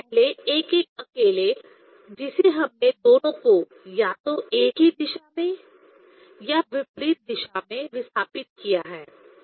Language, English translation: Hindi, Earlier one individual one we have displaced by both we displace by a either in same direction or in opposite direction